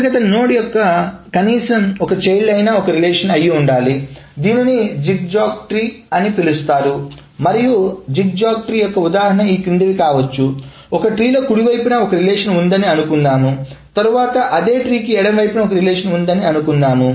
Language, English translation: Telugu, So at least one child of an internal node is a single relation that is called a zigzag tree and an example of a zigzag tree may be the following is that this is fine and then let us say this is on the right side and then let us say this is on the left side